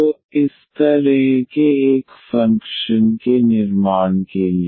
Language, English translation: Hindi, So, for the construction of this such a function